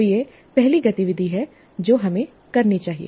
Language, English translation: Hindi, So this is the first activity that we should do